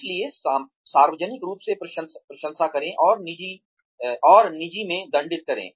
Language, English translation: Hindi, So, praise in public, and punish in private